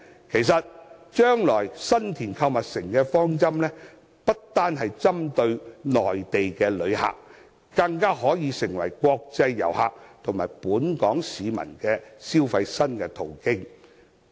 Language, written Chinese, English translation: Cantonese, 其實，將來新田購物城不單滿足內地旅客，更可以成為國際遊客和本港市民的消費新途徑。, In fact the San Tin boundary shopping mall will not only serve Mainland tourists it will also be a new shopping location for international tourists and local residents